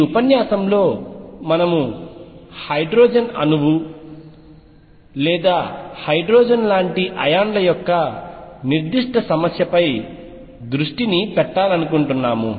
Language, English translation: Telugu, In this lecture we want to focus on a specific problem of the hydrogen atom or hydrogen like ions